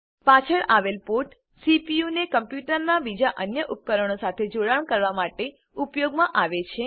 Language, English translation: Gujarati, The ports at the back, are used for connecting the CPU to the other devices of the computer